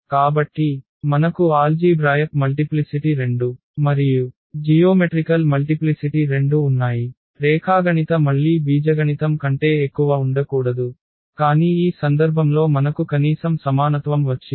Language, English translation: Telugu, So, we have the algebraic multiplicity 2 and as well as the geometric multiplicity 2; geometric cannot be more than the algebraic one again, but in this case we got at least the equality